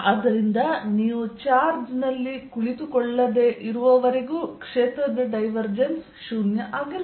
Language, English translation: Kannada, so so as long as you are not sitting on the charge, the divergence of the field is zero